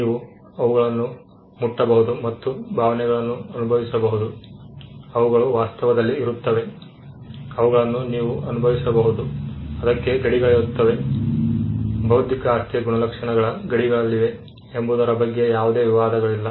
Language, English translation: Kannada, You can touch and feel them, they are tangible, you can feel them, there are borders to it, there is no possible dispute with regard to where the contours of these properties are